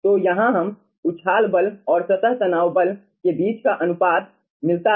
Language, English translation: Hindi, so here we get ah, the ratio between the ah buoyancy force and surface tension force